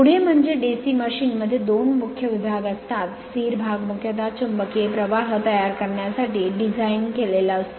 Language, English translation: Marathi, Next is so DC machine consists of two main parts, stationary part it is designed mainly for producing magnetic flux right